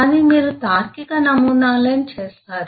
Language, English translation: Telugu, but it is typical that you will do logical models